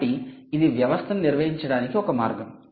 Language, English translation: Telugu, right, so thats one way of maintaining a system